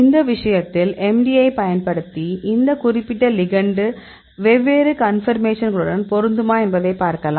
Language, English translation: Tamil, In this case also you can see whether this particular ligand can fit at the different conformations using MD